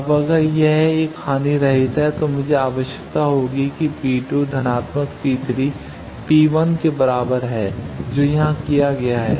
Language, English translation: Hindi, Now if it is a lossless one, I will require that P 2 plus P 3 is equal to P 1 that has been done here